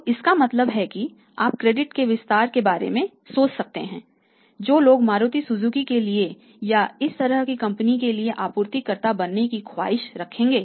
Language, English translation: Hindi, So, it means you blind fully you can think of extending the credit rather than people will aspire for we should be supplier for Maruti Suzuki or to this kind of the company